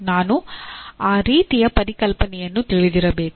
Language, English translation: Kannada, I should know that kind of a concept